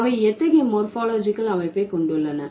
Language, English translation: Tamil, So, let's say what kind of morphological structure do they have